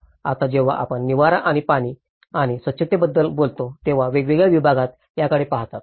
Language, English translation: Marathi, Now, when we talk about the shelter and water and sanitation, so different segments they look at it